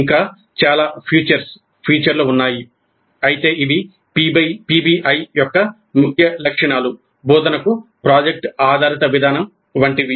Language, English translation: Telugu, There are many other features but these are the key features of PBI, project based approach to instruction